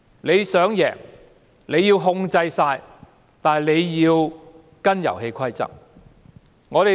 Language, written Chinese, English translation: Cantonese, 他想贏，要全面操制，也得要跟隨遊戲規則。, He wants to win and take complete control of the situation but still he has to follow the rules of the game